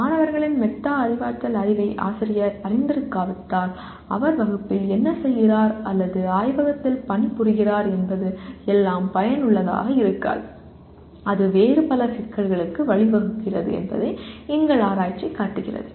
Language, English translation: Tamil, Our research shows that unless if the teacher is not aware of the metacognitive knowledge of the students, then what he is doing in the class or working in the laboratory may not be effective at all and that leads to many other problems